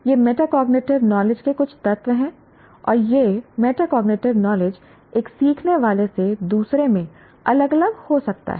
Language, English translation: Hindi, These are some elements of metacognitive knowledge and this knowledge, this metacognitive knowledge greatly differs from one's can differ from one student to the other, from one learner to the other